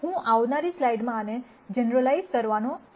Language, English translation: Gujarati, I am going to generalize this in the coming slides